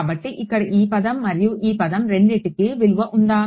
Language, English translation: Telugu, So, this term over here and this term over here these are both